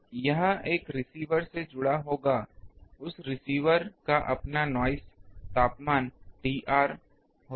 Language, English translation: Hindi, It will be connected to a receiver, that receiver has its own noise temperature T r